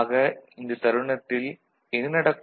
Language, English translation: Tamil, So, what is happening at that time